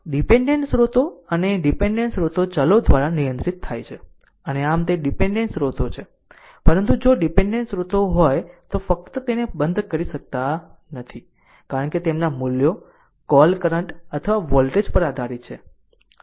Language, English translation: Gujarati, Dependent sources and dependent sources are controlled by variables and hence they are left intact so, but if dependent source are there, you just cannot turned it off right because their values are dependent on the what you call current or voltages right